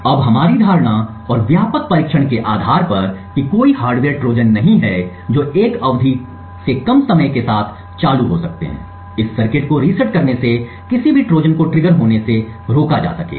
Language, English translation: Hindi, Now based on our assumption and the extensive testing that there are no hardware Trojan that can be triggered with a time less than an epoch resetting this circuit would prevent any Trojan from being triggered